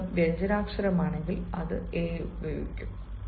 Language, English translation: Malayalam, if the sound is of a consonant, it will take a